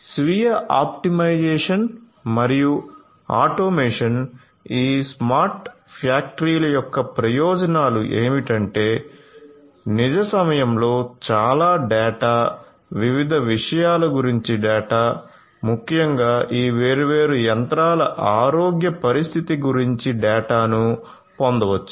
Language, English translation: Telugu, So, self optimization and automation so, benefits of this smart factories are going to be that one can you know in real time get lot of data, data about different things particularly the data about the health condition of this different machines